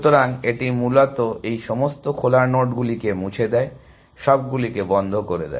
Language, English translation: Bengali, So, it is basically deletes all these nodes from open, close whatever it is maintaining